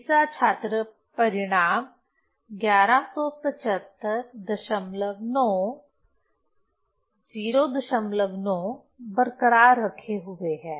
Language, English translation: Hindi, Second student retained the result 1174, 1174